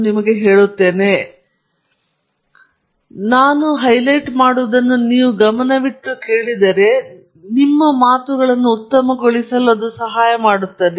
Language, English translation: Kannada, So, these are things that I will highlight to you and so that would help you make your talk better